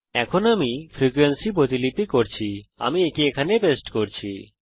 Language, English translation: Bengali, Now I have copied the frequency , so let me paste it here